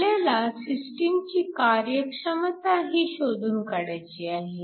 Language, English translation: Marathi, We are also asked to calculate the efficiency of the system